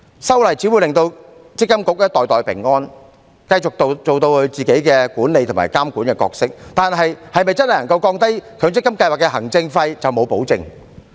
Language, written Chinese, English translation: Cantonese, 修例只會令積金局袋袋平安，繼續扮演自己管理和監管的角色，但對於是否真正能夠降低強積金計劃的行政費，卻沒有任何保證。, Following the amendment to the Ordinance MPFA will only continue to pocket a lot of money by playing its management and monitoring roles . But concerning whether the administrative fee of MPF schemes can really be reduced there is no guarantee at all